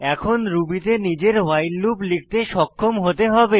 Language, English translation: Bengali, You should now be able to write your own while loop in Ruby